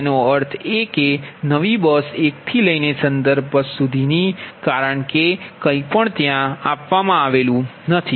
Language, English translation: Gujarati, say that means from new bus one to reference bus one, because anything, nothing is there